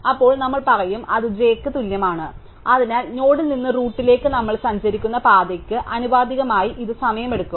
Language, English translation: Malayalam, So, then we will say therefore, it find of u equal to j, so this takes time proportional to the path that we traverse from the node to the root